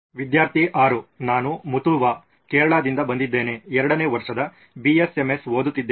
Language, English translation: Kannada, I am Muthua I am from Kerala studying 2nd year BSMS